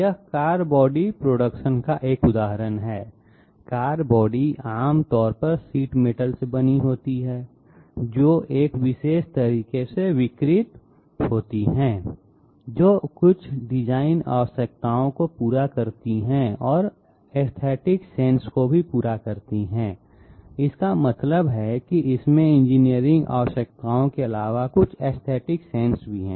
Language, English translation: Hindi, This is an example of a car body production; car body is generally made of sheet metal, deformed in a particular manner which fits some design requirements and also caters to our aesthetic sensors that means it has some aesthetic appeal as well apart from engineering requirements